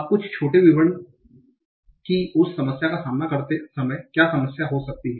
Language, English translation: Hindi, Now some small details that what might be the problem that you might face while doing that